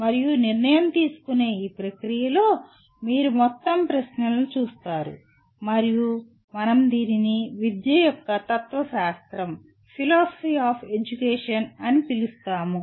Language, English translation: Telugu, And in this process of decision making you come across a whole bunch of questions and what we call it as “philosophy of education”